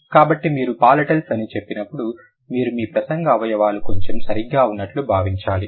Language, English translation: Telugu, So, when you say palatiles, you have to actually feel your speech organs a bit, right